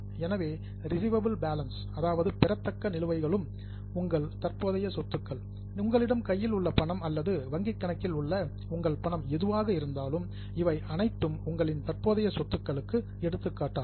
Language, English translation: Tamil, So, those receivable balances are also your current assets, whatever cash you have in hand or whatever cash you have got with banks, in the bank account, all these are examples of your current assets